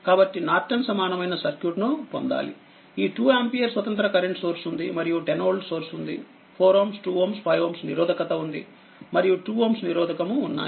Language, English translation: Telugu, So, we have to get the Norton equivalent circuit of this one 2 ampere independent source is there and a 10 volt source is there at 4 ohm 2 ohm 5 ohm and 2 ohm resistance are there